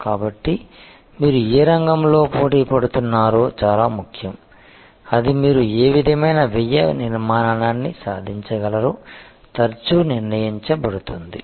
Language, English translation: Telugu, So, which field you are competing in is very important that will be often determined by what kind of cost structure you are able to achieve